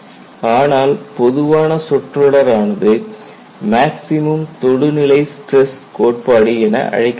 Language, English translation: Tamil, But a generic terminology is maximum tangential stress criterion